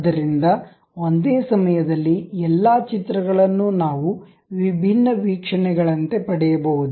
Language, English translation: Kannada, So, all the pictures at a time we can get as different views